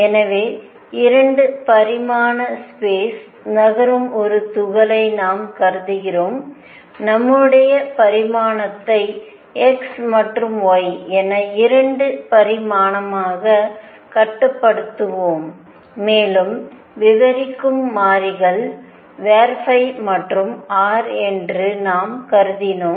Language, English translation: Tamil, So, we considered a particle moving in 2 dimensional space; let us just confined our say as to 2 dimension x and y and we considered the variables that describes phi and r